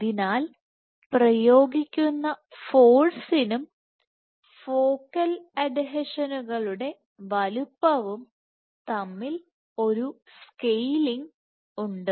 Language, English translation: Malayalam, So, there is a scaling between focal adhesion size force exerted